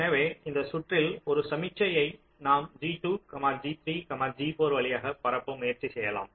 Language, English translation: Tamil, can we propagate a signal from a via g two, g three, g four